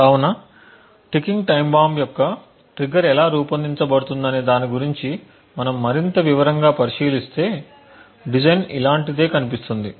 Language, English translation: Telugu, So, if we look at this more in detail about how a ticking time bomb’s trigger would be designed the design would look something like this